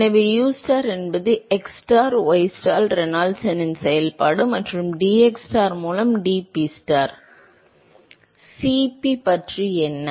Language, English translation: Tamil, So, if u star is a function of xstar ystar Reynolds number and dPstar by dxstar, what about Cf